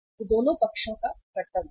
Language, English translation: Hindi, It is the duty of both the sides